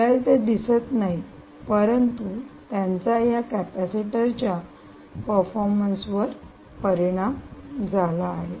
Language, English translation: Marathi, you wont see them, but they have their effect on the performance of this capacitor